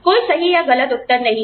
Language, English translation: Hindi, No right or wrong answers